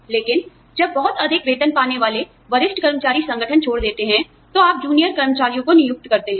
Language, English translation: Hindi, But, when senior employees, who are drawing a very high salary, leave the organization, you hire junior employees